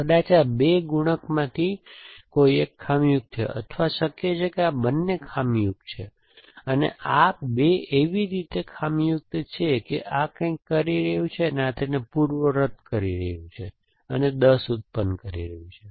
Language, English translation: Gujarati, May be these two multiplier is a faulty, which possible that these two a faulty, in such a way or not that these two are faulty in such a way that this is doing something and this is undoing that and producing 10